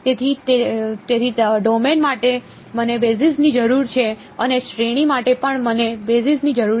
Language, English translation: Gujarati, So, therefore, the for the domain I need a basis and for the range also I need a basis ok